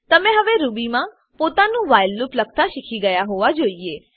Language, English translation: Gujarati, You should now be able to write your own while loop in Ruby